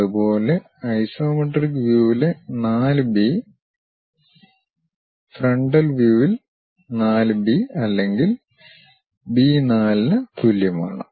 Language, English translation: Malayalam, Similarly, 4 B in the isometric view is equal to 4 B or B 4 in the frontal view